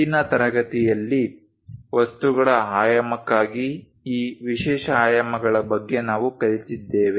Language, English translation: Kannada, In today's class we have learnt about these special dimensions for dimensioning of objects